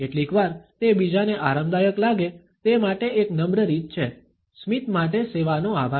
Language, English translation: Gujarati, Sometimes, it is just a polite way to make someone else feel comfortable, thank service for the smile